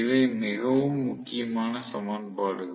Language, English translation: Tamil, So, these are really really important equations